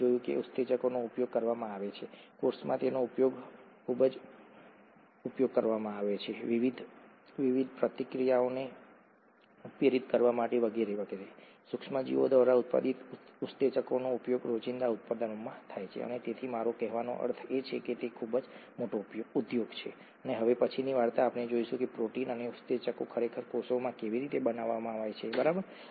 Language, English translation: Gujarati, We saw that enzymes are being used, heavily used in the cell, for catalysing various different reactions and so on, enzymes produced by microorganisms are used in everyday products and so I mean, that’s a very large industry, the next story we’re going to see how the proteins and the enzymes are actually made in the cell, okay